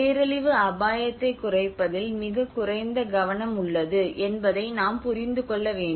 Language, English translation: Tamil, This is one thing which we have to understand, and this is a very little focus in on disaster risk reduction